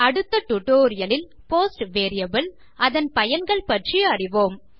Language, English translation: Tamil, In my next tutorial, I will talk about the post variable and its uses